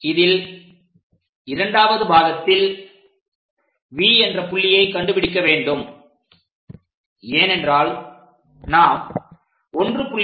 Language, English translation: Tamil, So, in that at second point locate V because 1